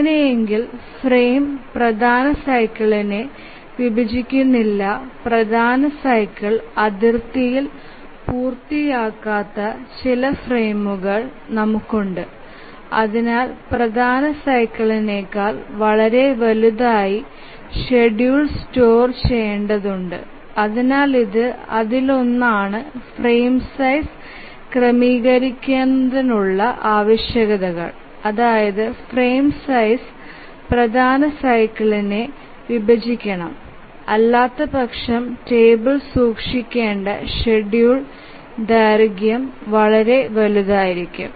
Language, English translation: Malayalam, If it doesn't, the frame doesn't divide the major cycle, then we have some frame which does not complete at the major cycle boundary and therefore the schedule has to be stored much larger than the major cycle and that is the reason why one of the requirements for setting of the frame size is that the frame size must divide the major cycle